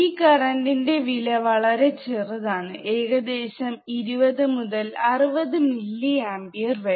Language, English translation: Malayalam, tThe magnitude of this current is very small, in order of 20 to 60 nano amperes